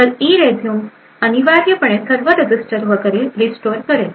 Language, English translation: Marathi, So, the ERESUME instruction would essentially restore all the registers and so on